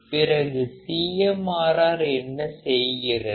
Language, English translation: Tamil, And what exactly CMRR is